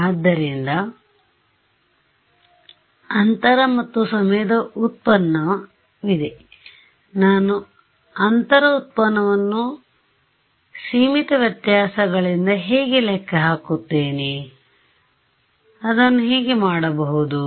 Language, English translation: Kannada, So, there is a space derivative and there is a time derivative, how will I calculate the space derivative by finite differences can I do it